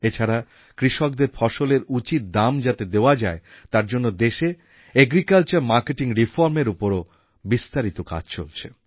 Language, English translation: Bengali, Moreover, an extensive exercise on agricultural reforms is being undertaken across the country in order to ensure that our farmers get a fair price for their crop